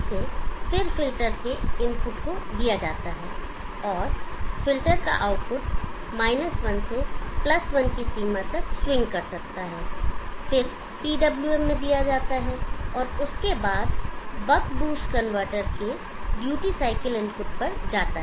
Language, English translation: Hindi, The output that filter can swing from at most 1 to +1 limits which goes the PWM and goes to the duty cycle input of the buck boost convertor